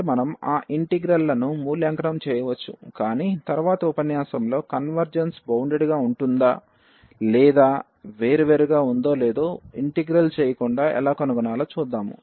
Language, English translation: Telugu, So, we can evaluate those integrals, but in the next lecture we will see that how to how to find without evaluating whether the integral converges or it diverges